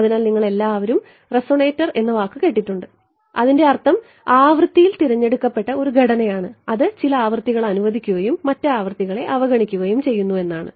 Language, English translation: Malayalam, So, you all have heard the word resonator it means that its a structure which is selective in frequency it allows some frequency and it disregards the other frequencies